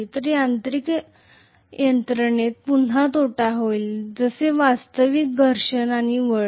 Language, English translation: Marathi, So the mechanical system again will have the losses as actually friction and windage losses